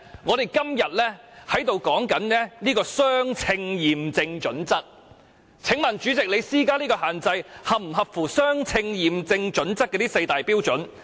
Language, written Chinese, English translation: Cantonese, 我們今天討論了相稱驗證準則，請問主席，你施加這種限制是否合乎相稱驗證準則的4個步驟？, Today we have discussed the proportionality test . May I ask the President whether he had followed the four steps under the proportionality test when he imposed the restriction in question?